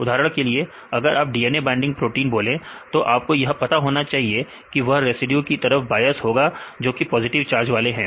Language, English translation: Hindi, So, if you for example, if you take about the DNA binding proteins, so you should know there are some bias in the positive charge residues